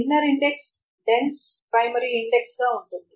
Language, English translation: Telugu, While the inner index can be a dense primary index